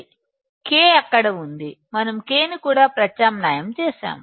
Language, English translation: Telugu, K is there so; we have substituted K also